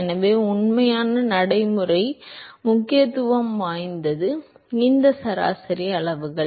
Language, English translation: Tamil, So, what is of real practical importance are these average quantities